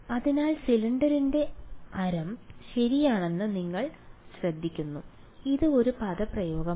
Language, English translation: Malayalam, So, you notice the radius of the cylinder is appearing ok, this is one expression